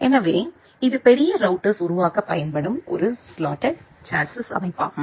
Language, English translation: Tamil, So, this is a structure of a slotted chassis which are used to build up large routers